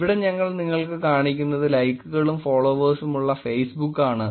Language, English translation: Malayalam, Here we are just showing you the Facebook which is likes and followers